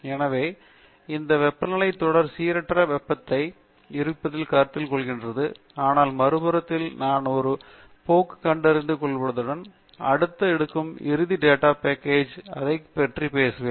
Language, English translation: Tamil, So, it may be a wise thing to assume that this temperature series is stochastic, but on the other hand I also find some trends, and we will talk about it in the next and final data set that will take up